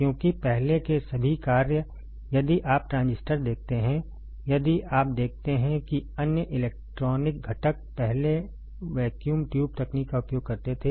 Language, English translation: Hindi, Because all the functions earlier, if you see the transistors if you see the other electronic components earlier vacuum tube technology was used